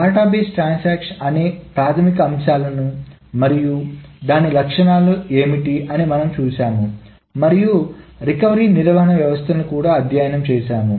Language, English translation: Telugu, We have seen the basics of what a database transaction is and what are its properties and we have also studied the recovery management systems